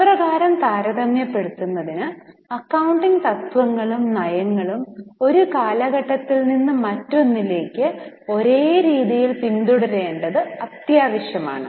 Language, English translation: Malayalam, Now, in order to achieve the comparability, it is necessary that the accounting principles and policies are followed from one period to another in a consistent manner